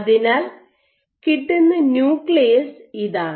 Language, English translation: Malayalam, So, this is the nucleus which is fetched